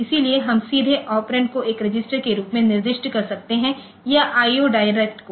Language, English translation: Hindi, So, we can directly specify your operand as a register or you can have IO direct